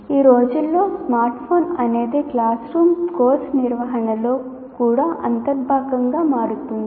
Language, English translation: Telugu, These days the smartphone also is becoming an integral part of classroom interaction as well as course management